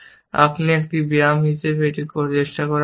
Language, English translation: Bengali, You should try it as an exercise